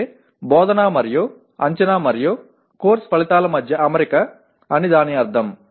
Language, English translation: Telugu, That means alignment between instruction and assessment and course outcomes that is what it means